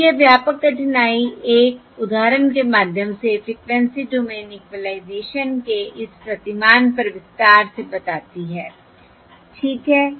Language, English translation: Hindi, all right, So this comprehensively um difficulty explains or elaborates on this paradigm of Frequency Domain Equalisation through an example